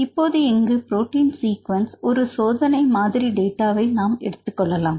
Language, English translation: Tamil, So, here the protein sequence I will get the experimental data you can get the protein sequence